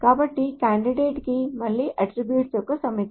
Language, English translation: Telugu, So a candidate key is again a set of attributes